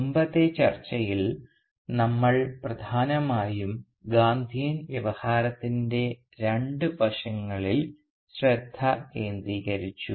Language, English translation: Malayalam, And in our previous discussion we had primarily focused on two aspects of the Gandhian discourse